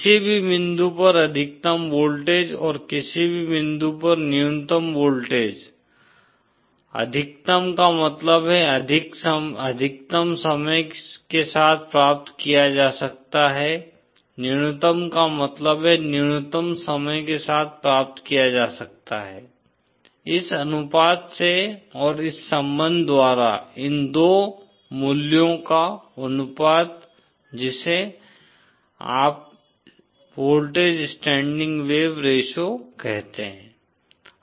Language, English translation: Hindi, The maximum voltage at any point and the minimum voltage at any point, maximum means the maximum that can be achieved over time, minimum also means minimum that can be achieved over time is given by this ratio and by this relationship the ratio of these 2 values is what you called as the voltage standing wave ratio